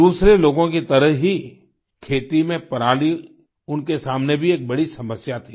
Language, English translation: Hindi, Just like others, the stubble in the fields was a big concern for him too